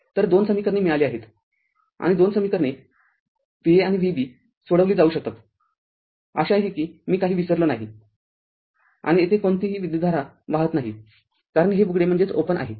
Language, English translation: Marathi, So, 2 equations we got and you can solve using 2 equation V a and V b; hope I have not missed anything and there is no current flowing here because this is open